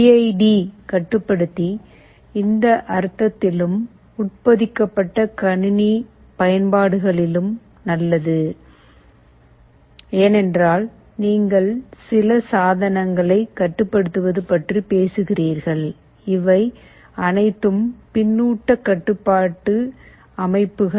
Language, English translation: Tamil, PID controller is good in this sense and in embedded system applications, because you are talking about controlling some appliances and all of these are feedback control systems